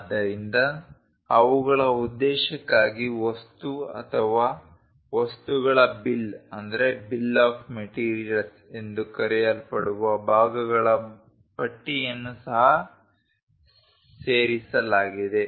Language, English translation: Kannada, So, for their purpose material or parts list which is called bill of materials are also included